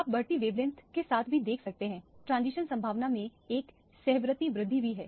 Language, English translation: Hindi, You can also see with the increasing wavelength, there is also a concomitant increase in the transition probability